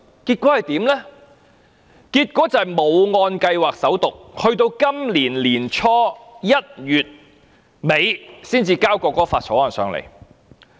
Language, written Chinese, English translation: Cantonese, 結果是該法案沒有按計劃進行首讀，直至今年年初1月底時才向立法會提交。, As a result the Bill did not undergo First Reading according to plan and was not tabled to the Legislative Council until the end of January early this year